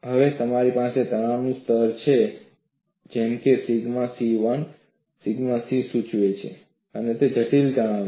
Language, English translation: Gujarati, Now, I have the stress level as, taken as, sigma c1; the c denotes it is a critical stress